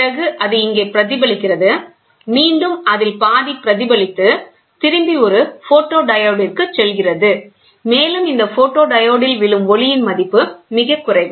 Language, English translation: Tamil, So, then it gets reflected here, then you have a semi reflecting this, in turn, goes to a photodiode, and this whatever falls on this photodiode the values are very less